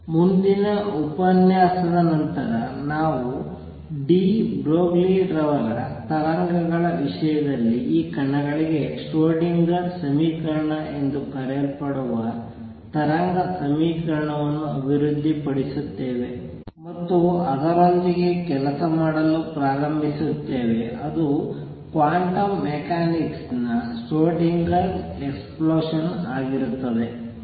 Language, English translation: Kannada, On next lecture onwards we will develop a wave equation known as the Schrödinger equation for these particles in terms of de Broglie waves, and start working with it that will be the Schrödinger explosion of quantum mechanics